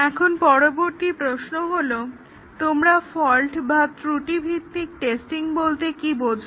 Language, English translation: Bengali, Now, the next question is what do you understand by fault based testing